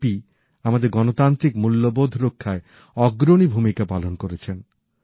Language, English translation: Bengali, JP played a pioneering role in safeguarding our Democratic values